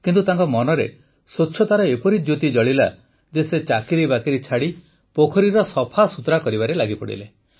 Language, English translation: Odia, However, such a sense of devotion for cleanliness ignited in his mind that he left his job and started cleaning ponds